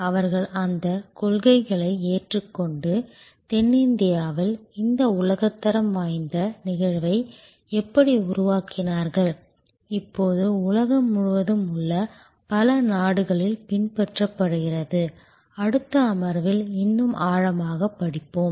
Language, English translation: Tamil, How they adopted those principles and created this world class phenomenon in South India now emulated in so, many countries across the world, we will study in greater depth in the next session